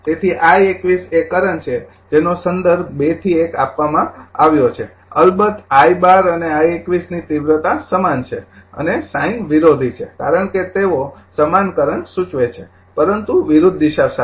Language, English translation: Gujarati, Therefore, your I 21 is the current to the with it is reference directed from 2 to 1 of course, I 12 and I 21 are the same in magnitude and opposite in sign so, because they denote the same current, but with opposite direction